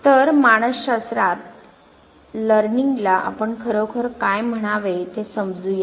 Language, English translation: Marathi, So, let us understand what actually we mean by learning in psychology